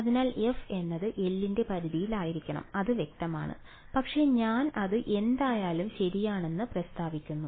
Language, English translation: Malayalam, So, f must be in the range of L that is kind of obvious, but I am just stating it anyway ok